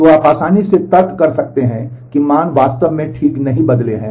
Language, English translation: Hindi, So, you can you can easily reason, that the values have actually not changed ok